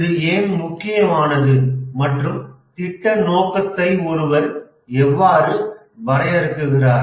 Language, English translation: Tamil, Why is it important and how does one define the project scope